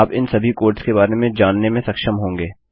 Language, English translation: Hindi, You will be able to know all these codes about